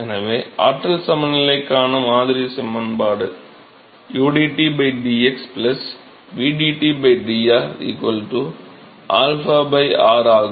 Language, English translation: Tamil, So, the model equation for energy balance is udT by dx plus vdT by dr that is equal to alpha by r ok